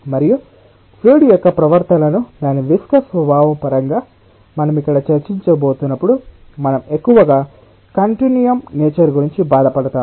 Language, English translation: Telugu, and whenever we are going to discuss about the behavior of the fluid in terms of its viscous nature, here we will be mostly bothering on the continuum nature